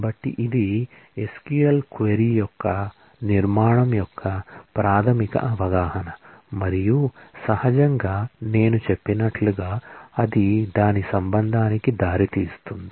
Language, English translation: Telugu, So, this is the basic understanding of the structure of the SQL query and naturally as I mentioned that will result in a relation